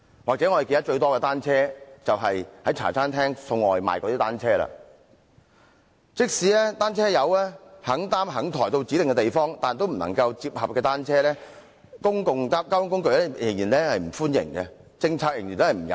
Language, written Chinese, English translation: Cantonese, 即使"單車友"願意把單車擔抬到公共交通工具上指定的地方，但不能摺合的單車，公共交通工具仍然不歡迎，有關的政策仍然不友善。, Even if cyclists are willing to manhandle their bicycles to designated areas on modes of public transport non - foldable bicycles are still not welcome on board . The relevant policy is still not bicycle - friendly